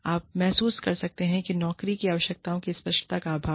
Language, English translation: Hindi, You may realize, that there is lack of, clarity of job requirements